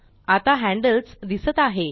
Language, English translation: Marathi, Now the handles are visible